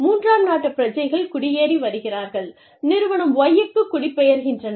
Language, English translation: Tamil, Third country nationals, are immigrating, are migrating to, the Firm Y